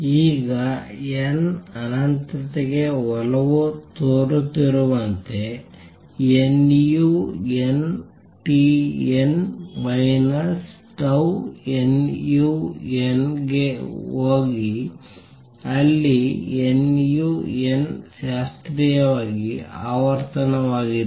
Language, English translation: Kannada, Now, as n tends to infinity, nu n t n minus tau go to tau nu n where nu n is the classical frequency